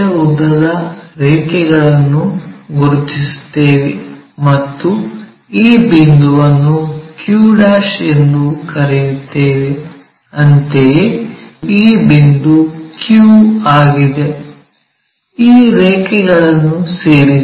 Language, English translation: Kannada, Now, 60 mm long lines locate it; so here, and let us call this point as q'; similarly this point is our q, join these lines